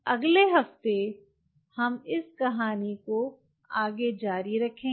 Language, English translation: Hindi, next week we will continue this story